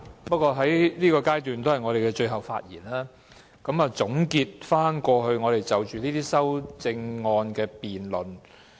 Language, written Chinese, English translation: Cantonese, 不過，我們在現階段作最後發言，總結過去我們就着這些修正案的辯論。, However we are giving our last speeches at this stage to conclude the debate on the amendments